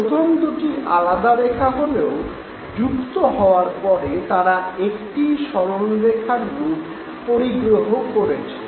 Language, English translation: Bengali, Although they are two separate lines as you initially saw but when they join you see them as one straight line